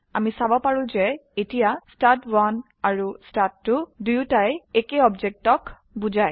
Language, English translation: Assamese, We can see that here both stud1 and stud2 refers to the same object